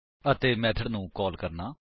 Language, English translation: Punjabi, * And to call a method